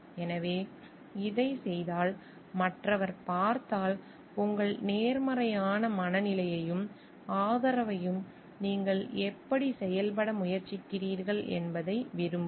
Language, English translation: Tamil, So, and if this is done and if the other see, like your positive mindset and support and how you are trying to act on these